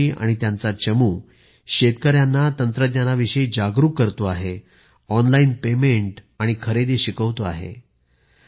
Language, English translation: Marathi, Atul ji and his team are working to impart technological knowhow to the farmers and also teaching them about online payment and procurement